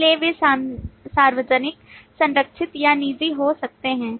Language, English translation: Hindi, So they could be public, protected or private